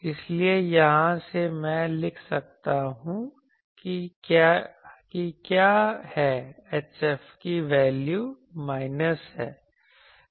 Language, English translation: Hindi, So, from here I can write what is the value of H F will be this minus this